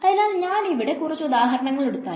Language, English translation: Malayalam, So, if I take a few examples over here